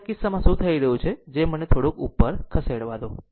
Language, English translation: Gujarati, So, in this case, what is happening that just let me move little bit up